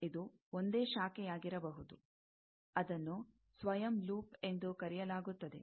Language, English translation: Kannada, It may be a single branch that is called self loop